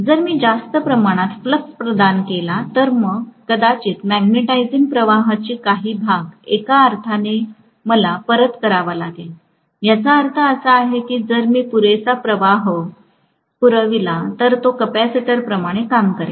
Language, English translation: Marathi, If I provide excessive amount of flux, then I might have to return some portion of the magnetising current in one sense, which means it is going to work like a capacitor, if I provide just sufficient amount of flux